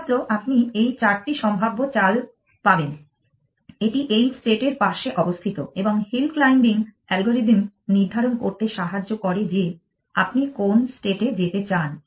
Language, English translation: Bengali, So, you will get these are the four possible moves, so this is the neighborhood of this state and you want to use hill climbing algorithm to decide which state to move